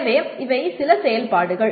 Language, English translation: Tamil, So these are some of the activities